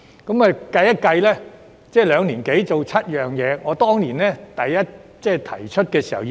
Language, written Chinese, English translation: Cantonese, 督導小組在兩年多完成7項工作，而我當年好像提出了10項建議。, While the Steering Group completed seven tasks in more than two years I think I had made as many as 10 recommendations back then